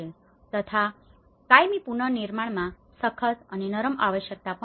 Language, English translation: Gujarati, In the permanent reconstruction, there is also the hard and soft needs